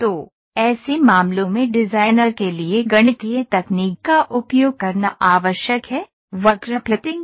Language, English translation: Hindi, So, in such cases it is necessary for the designer to use a mathematical technique, of curve fitting